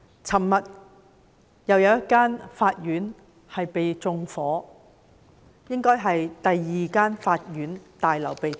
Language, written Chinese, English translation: Cantonese, 昨天又有一間法院被縱火，這應該是第二間被縱火的法院大樓。, Yesterday another court building was set on fire . It should be the second court building being set on fire